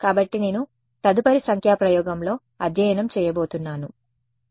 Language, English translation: Telugu, So, that is what I am going to study in the next numerical experiment all right yeah ok